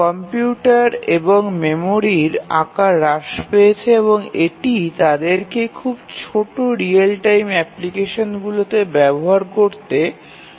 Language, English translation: Bengali, The size of computers and memory have really reduced and that has enabled them to be used in very very small real time applications